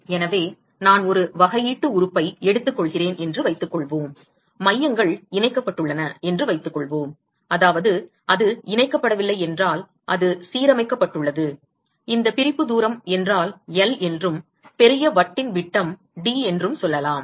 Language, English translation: Tamil, So, supposing I take a differential element, let us say that the centres are connected, I mean it is not connected it is aligned and if this separation distance is let us say L and the diameter of the larger disc is D